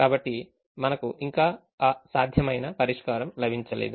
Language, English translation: Telugu, so we have not yet got that feasible solution